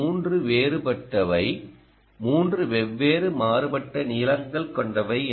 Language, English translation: Tamil, ah, these three different are three different varying lengths